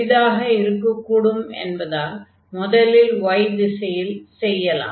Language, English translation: Tamil, So, let us integrate first in the direction of y because that will be easier